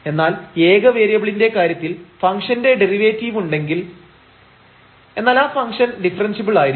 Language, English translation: Malayalam, The next we will see that if the derivative exists that will imply that the function is differentiable